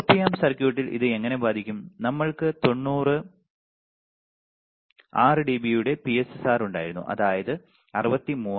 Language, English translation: Malayalam, How this will affect on the Op amp circuit, we had PSRR of 90 6 dB we will have was 63000